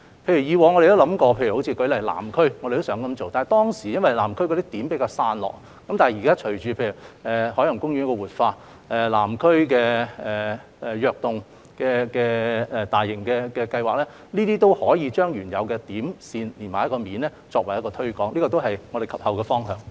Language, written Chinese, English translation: Cantonese, 譬如以往我們曾考慮在南區循此方向去做，但當時因為南區的"點"比較散落，但現時隨着海洋公園的活化、"躍動港島南"大型計劃的推行，我們可以把原有的"點"、"線"連成一個"面"來推廣，這也是我們及後的方向。, For instance we had considered this approach in the Southern District in the past . However it did not work because the points in Southern District at that time were too scattered . But with the revitalization of Ocean Park and with the implementation of the Invigorating Island South initiative we can now connect the points and lines to form a plane in our promotion